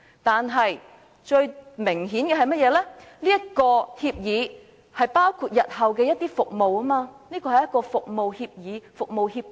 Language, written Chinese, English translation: Cantonese, 但最明顯的是，這份協議包括了日後的一些服務，這是一份服務協議。, But obviously as the agreement stated certain services to be provided later it was a service agreement